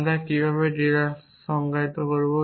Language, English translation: Bengali, How do we define deduction